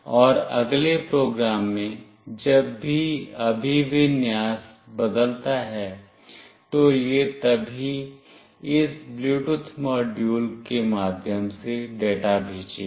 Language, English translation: Hindi, And in the next program whenever the orientation changes, then only it will send the data through this Bluetooth module